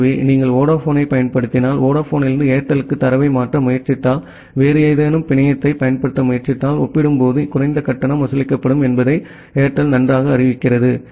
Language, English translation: Tamil, So, sometime you have seen that well Airtel announces that well if you use Vodafone and if you try to transfer data from Vodafone to Airtel you will have a lower charge compared to if you try to use some other network